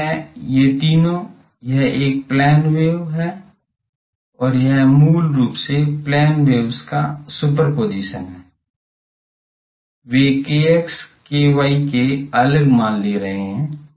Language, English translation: Hindi, This is, these three, this is a plane wave and it is basically superposition of plane waves, they are taking the value k x k y different k x k y